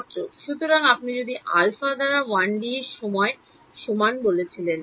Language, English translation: Bengali, So, if you said by alpha equal to 1D and times